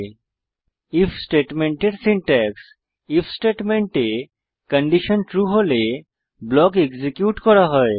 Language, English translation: Bengali, Syntax for If statement In the if statement, if the condition is true, the block is executed